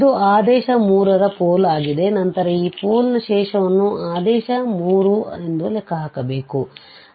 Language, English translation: Kannada, So, this is a pole of order 3 and then we have to compute the residue for this pole which is of order 3